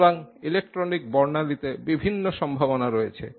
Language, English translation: Bengali, So, there are various possibilities in electronic spectra